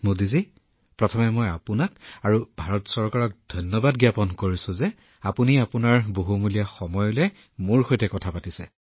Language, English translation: Assamese, I express my gratitude to you and the Government of India, that you gave me an opportunity and aretalking to meby taking out valuable time